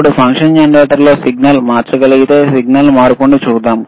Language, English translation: Telugu, Now, if we can if we change the signal in the function generator, let us see the change in signal